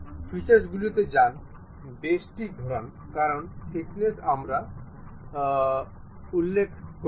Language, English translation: Bengali, Go to features, revolve boss base because thickness we did not mention